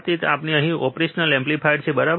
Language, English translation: Gujarati, So, we have a operational amplifier here, right